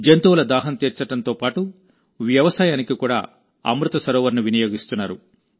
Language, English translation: Telugu, Amrit Sarovars are being used for quenching the thirst of animals as well as for farming